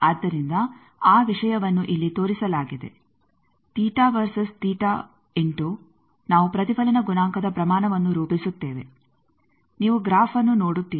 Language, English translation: Kannada, So, that thing is shown here, that theta versus theta into we plot the magnitude of the reflection coefficient you see the graph